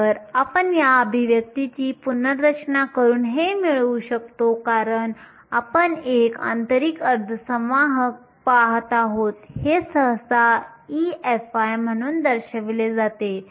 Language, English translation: Marathi, So, this you can get by just rearranging this expression, since we are looking at an intrinsic semiconductor this is usually denoted as e f i